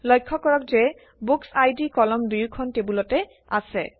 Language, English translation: Assamese, Notice that the BookId column is in both the tables